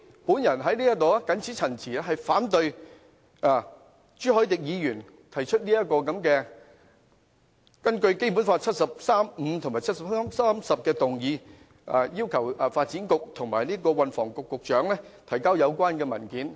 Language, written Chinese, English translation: Cantonese, 我謹此陳辭，反對朱凱廸議員根據《基本法》第七十三條第五項及第七十三條第十項提出要求發展局局長及運輸及房屋局局長出示相關文件的議案。, With these remarks I oppose the motion moved by Mr CHU Hoi - dick under Articles 735 and 7310 of the Basic Law to request the Secretary for Development and the Secretary for Transport and Housing to produce the relevant documents